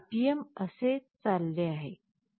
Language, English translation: Marathi, So, the RPM is going like this